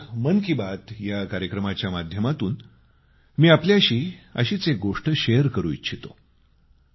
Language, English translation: Marathi, Today, in this episode of Mann Ki Baat, I want to share one such thing with you